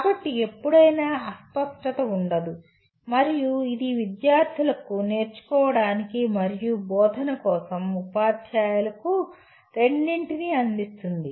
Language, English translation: Telugu, So there is no ambiguity at any time and it provides both focus to students for learning and to teachers for teaching